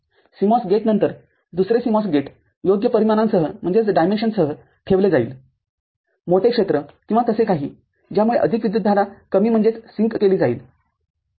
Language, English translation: Marathi, After the CMOS gate, another CMOS gate will be put with appropriate dimensions larger area or so, which will enable more current to get sunk ok